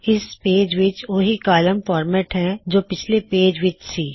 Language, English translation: Punjabi, This page contains the same column format as on the previous page